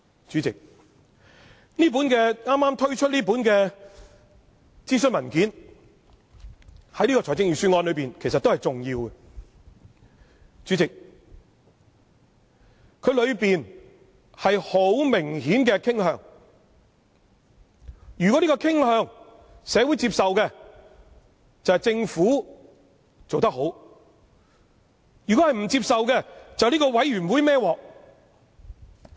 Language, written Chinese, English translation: Cantonese, 主席，這份剛推出的諮詢文件對於這份預算案也是很重要的，而當中有很明顯的傾向，如果有關的傾向獲社會接受，便是政府做得好；如果不獲接受，便由這個委員會"揹鑊"。, Chairman this consultation document which has just been published is very important to this Budget and contains some obvious inclinations . If these inclinations are accepted by the community that would mean the Government has done a good job; otherwise this committee would have to take the blame